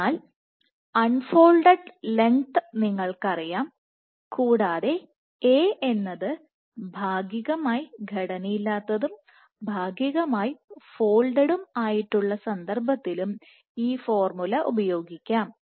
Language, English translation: Malayalam, So, you know the unfolding length unfolded length, and this formula can also be used for the case where A is unstructured, plus partially folded